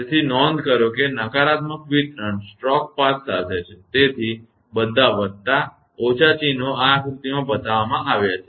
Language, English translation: Gujarati, So, note that distribution negatives are along the stroke path; so all the plus, minus signs are shown in this diagram